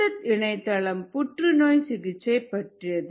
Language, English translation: Tamil, this is a nice website for cancer treatment